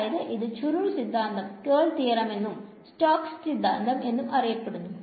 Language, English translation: Malayalam, So, that is the curl theorem also known as the Stoke’s theorem right